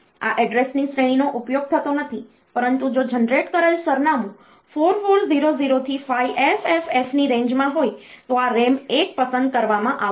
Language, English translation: Gujarati, This address range is not used, but this RAM 1 will be selected if the generated address is in the range of 4400 to 5FFF